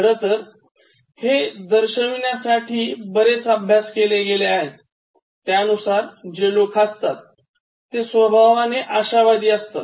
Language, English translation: Marathi, In fact, there are many studies to indicate that, the people who laugh, they are by nature optimistic